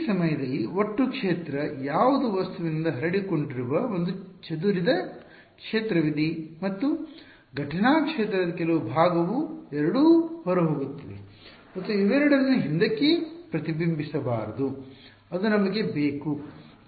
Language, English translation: Kannada, At this point what is the total field there is a scattered field that is coming from the object and some part of the incident field both of them are outgoing and both of them should not be reflected back that is what we want ok